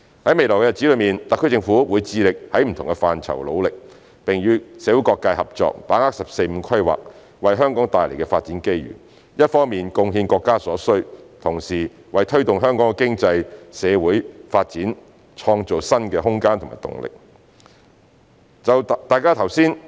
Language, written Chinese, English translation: Cantonese, 在未來的日子，特區政府會致力在不同範疇努力，並與社會各界合作，把握"十四五"規劃為香港帶來的發展機遇，一方面貢獻國家所需，同時為推動香港的經濟、社會發展創造新的空間和動力。, In future the SAR Government will do our utmost in different areas and collaborate with different sectors of the community to seize the development opportunities brought about by the 14th Five - Year Plan to Hong Kong so that we can contribute to what our country needs on the one hand and create space and momentum for Hong Kongs economic and social development on the other